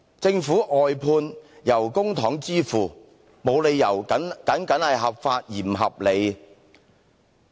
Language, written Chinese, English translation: Cantonese, 政府的外判工作由公帑支付費用，沒理由僅僅合法而不合理。, The costs for work outsourced by the Government are financed by public funding . There is no reason for it to be lawful but improper